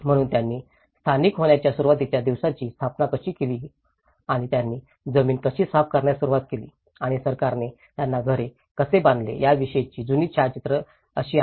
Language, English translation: Marathi, So, this is how the very old photographs of how they set up the initial days of the settling down and how they started clearing the land and how the government have built them thatched housing